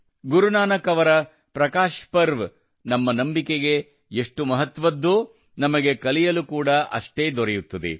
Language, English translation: Kannada, As much as the Prakash Parv of Guru Nanak ji is important for our faith, we equally get to learn from it